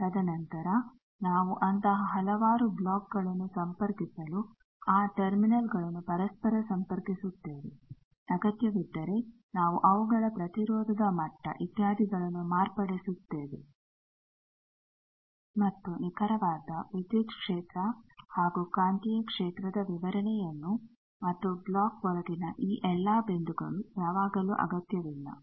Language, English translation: Kannada, And then we interconnect those terminals to connect several such blocks, if required we modify their impedance levels etcetera and exact electric field and magnetic field description and all these points inside the block is not always necessary